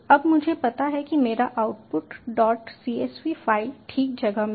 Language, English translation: Hindi, ok, now i know my output dot csv file is in place